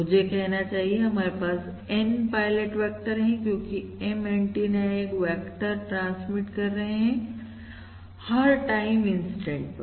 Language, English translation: Hindi, In fact, I should say: consider N pilot vectors, because at each time, instant, we are transmitting a vector from the M antennas